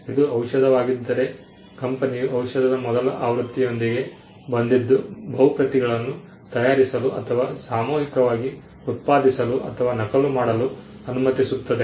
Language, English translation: Kannada, If it is a pharmaceutical drug the fact that the company came up with the first version of the drug allows it to make or mass produce or duplicate multiple copies